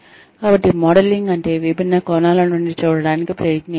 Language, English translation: Telugu, So, modelling means, trying to see things from different perspectives